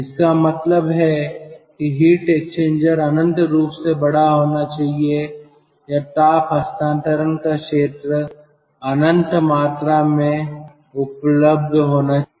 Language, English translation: Hindi, that means the heat exchanger should be infinitely large or the heat transfer area, infinite amount of a transfer area is available